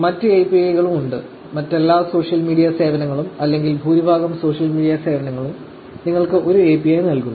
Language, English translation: Malayalam, There is other APIs also; all other social media services or majority of the social media services provide you with an API